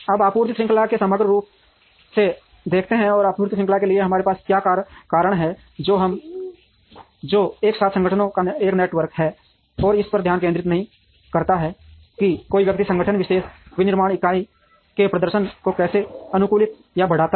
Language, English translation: Hindi, Now, what are the reasons for us to look at supply chain holistically and supply chain, which is a network of organizations together and not concentrate on how an individual organization optimizes or increases the performance of the particular manufacturing unit